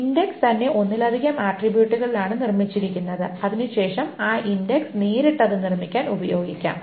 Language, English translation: Malayalam, The index itself is built on multiple attributes and then that index can be used directly to build that